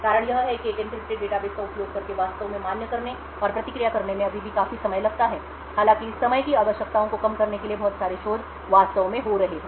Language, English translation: Hindi, The reason being that it takes still considerable amount of time to actually validate and enncrypt responses using an encrypted database although a lot of research is actually taking place in order to reduce this time requirements